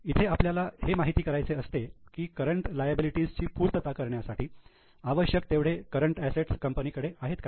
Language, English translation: Marathi, Here we want to know whether company has enough current assets to pay for its current liabilities